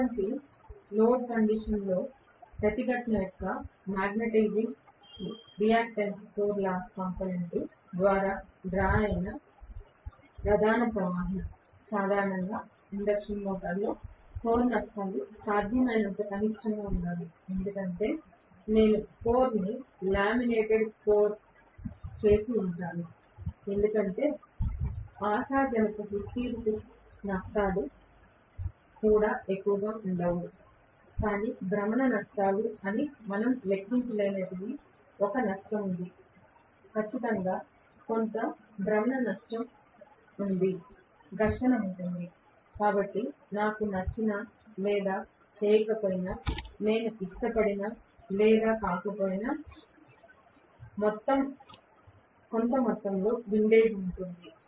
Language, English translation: Telugu, Under no load condition the major current drawn is by the magnetizing reactance core loss component of resistance, generally, core losses should be as minimum as possible in an induction motor because I would have laminated the core hopefully the hysteresis losses will also be not to high, but there is one loss which we cannot account for that is rotational losses, definitely there will be some amount of rotational loss, there will be friction, whether I like it or not, there will be some amount of windage whether I like it or not